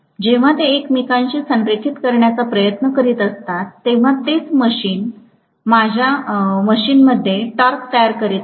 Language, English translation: Marathi, When they are trying to align with each other, that is what is creating the torque in my machine